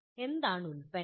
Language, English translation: Malayalam, What is the product